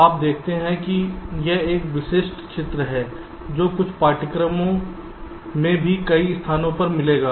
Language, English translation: Hindi, you see, this is a typical picture that will find in several places in some textbooks also